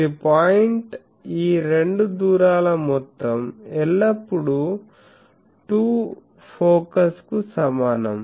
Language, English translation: Telugu, So, this is the point so, sum of these two distances is always equal to twice of the focus